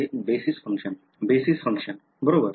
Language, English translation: Marathi, Basis functions right